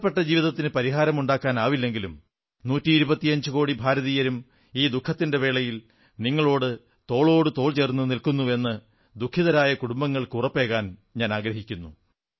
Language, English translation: Malayalam, Loss of lives cannot be compensated, but I assure the griefstricken families that in this moment of suffering& misery, a hundred & twenty five crore Indians stand by them, shoulder to shoulder